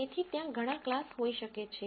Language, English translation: Gujarati, So, there might be many classes